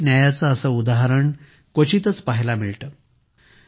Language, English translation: Marathi, Such an example of social justice is rarely seen